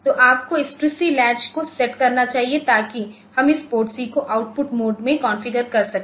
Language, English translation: Hindi, So, you should have this TRISC latch set to set so that we can get this we this latch is we configure this PORTC in the output mode